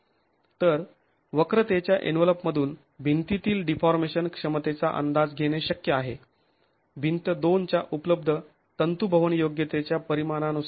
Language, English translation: Marathi, So from the envelope curve it's possible to get an estimate of the deformation capacity of the wall quantified in terms of ductility available in the wall